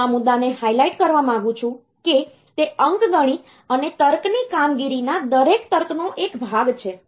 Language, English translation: Gujarati, I will like to highlight this point that, it is part of every logic of arithmetic and logic operation